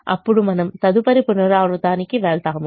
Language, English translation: Telugu, then we move to the next iteration